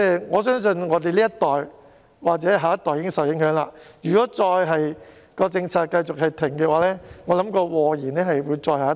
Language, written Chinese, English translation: Cantonese, 我相信我們這一代或下一代已經受影響，如果政策繼續停頓，或會禍延再下一代。, I believe our generation or our next generation has already been affected and if the policy is stuck here harm may possibly be caused to the next generation of our next generation